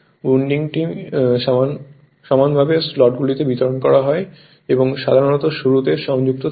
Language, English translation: Bengali, The winding is uniformly distributed in the slots and is usually connected in start right